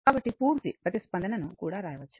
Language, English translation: Telugu, So, we can also write the total complete response